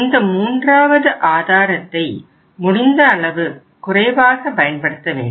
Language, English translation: Tamil, That is the third source but that should be used as minimum as possible